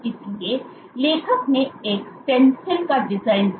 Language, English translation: Hindi, So, what the author did was designed a stencil, they designed the stencil